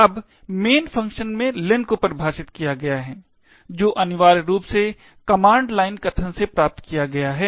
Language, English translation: Hindi, Now, in the main function there is length define which essentially obtained from the command line argument